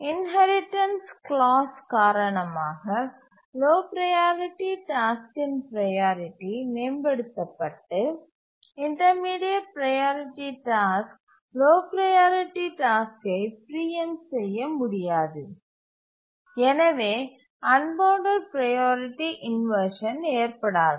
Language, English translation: Tamil, So it is the inheritance clause because of that the priority of the low priority task gets enhanced and the intermediate priority task cannot undergo cannot cause the low priority task to be preempted and therefore unbounded priority inversion cannot occur